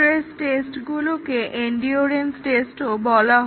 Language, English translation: Bengali, Stress tests; the stress tests is also called as endurance testing